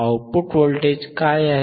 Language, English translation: Marathi, wWhat is the output voltage